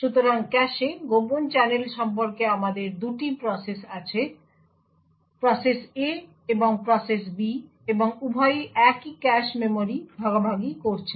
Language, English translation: Bengali, So, the aspect about cache covert channels is that we have 2 processes; process A and process B and both are sharing the same cache memory